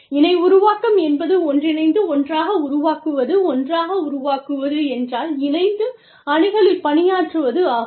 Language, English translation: Tamil, Co creation means, building together, creating together, forming together, making together, producing together, working in teams